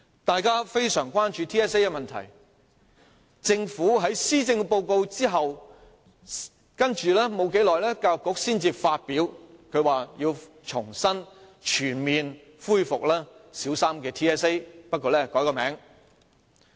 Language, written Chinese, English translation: Cantonese, 大家非常關注 TSA 的問題，政府在發表施政報告後，教育局才公布要重新全面恢復小三 TSA， 不過會更改其名稱。, We are very concerned about the problems with TSA . It was not until the Government had presented the Policy Address that the Education Bureau announced that the Primary Three TSA would be fully resumed but its name would be changed